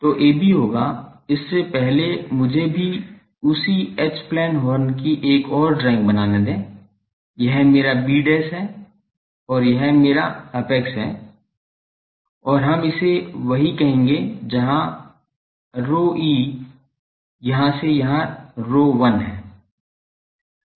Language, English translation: Hindi, So, AB will be before that also let me have a another drawing of the same H plane horn, this is my b dash and this is my apex and we will call this where in rho e and this one from here to here rho 1 ok